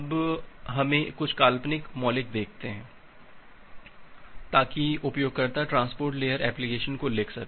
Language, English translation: Hindi, Now, let us look in to some hypothetical primitive to enable user to write a transport layer application